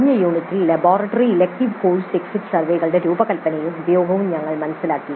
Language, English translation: Malayalam, In the last unit, we understood the design and use of laboratory and elective course exit surveys